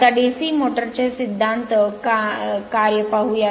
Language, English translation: Marathi, So, we start with DC motors